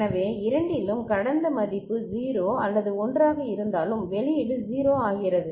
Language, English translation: Tamil, So, in either case irrespective of the past value was 0 or 1, the output becomes 0